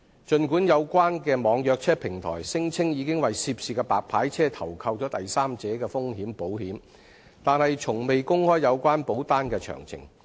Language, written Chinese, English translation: Cantonese, 儘管有關的網約車平台聲稱已為涉事的白牌車投購第三者風險保險，但從未公開有關保單的詳情。, While the e - hailing platform concerned claimed that a third party risks insurance policy had been taken out for the white licence car concerned the details of the relevant policy have never been made public